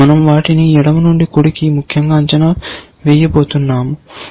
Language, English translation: Telugu, We are going to evaluate them from left to right, essentially